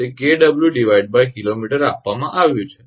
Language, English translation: Gujarati, It is given kilowatt per kilometre